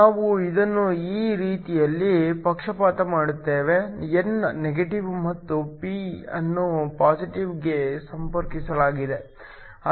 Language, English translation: Kannada, We bias this in such a way, n is connected to negative and p is connected to positive